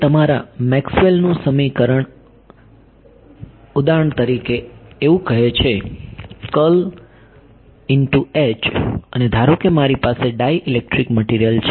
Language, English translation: Gujarati, Now, your Maxwell’s equation says for example, curl of H right and supposing I have a dielectric material